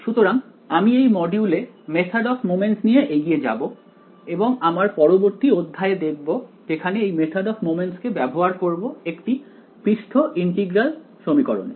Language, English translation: Bengali, So, we will continue with this module on the method of moments and look at the next section which is applying this method of moments to Surface Integral Equations ok